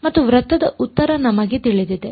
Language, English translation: Kannada, And we know the answer for a circle